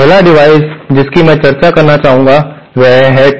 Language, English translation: Hindi, The 1st device that I would like to discuss is the Tee